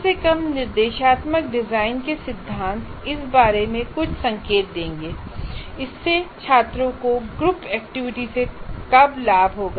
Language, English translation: Hindi, At least the principles of instructional design would give some indications when it would benefit students to be put into groups